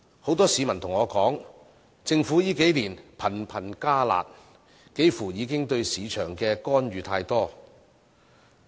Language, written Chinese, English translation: Cantonese, 很多市民告訴我，政府這數年頻頻"加辣"，對市場的干預似乎太多。, Many people have told me that the Government has excessively interfered in the market by introducing the enhanced curb measures in recent years